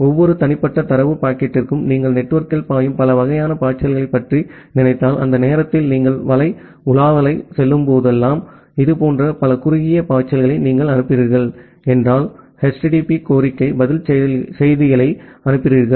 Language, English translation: Tamil, So, for every individual data packet if you think about multiple sort flows which are flowing in the network just like whenever you are doing web browsing during that time if you are sending such multiple short flows that means, HTTP request response messages